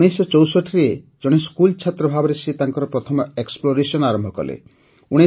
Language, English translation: Odia, In 1964, he did his first exploration as a schoolboy